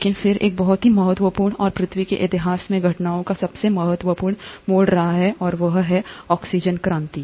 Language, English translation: Hindi, But then, there has been a very important and one of the most crucial turn of events in history of earth, and that has been the oxygen revolution